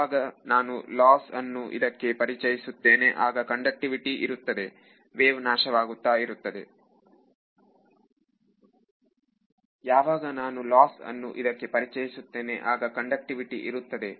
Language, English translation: Kannada, The moment I introduce some loss into the thing there is conductivity the wave begins to decay